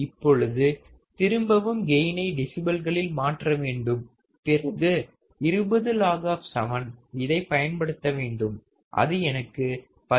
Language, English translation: Tamil, Now, again I want to convert my gain in decibels then I have to use 20 log 7 that will give me value of 16